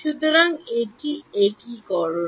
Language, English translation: Bengali, So, what is convergence